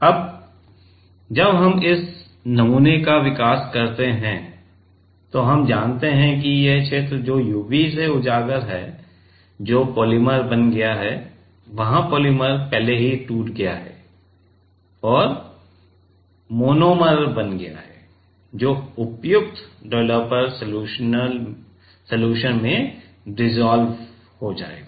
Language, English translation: Hindi, Now, while we do development of this sample, then we know that this region which is exposed to UV that has become the polymer has polymer already broke there and became monomer that will get dissolve in the suitable developer solution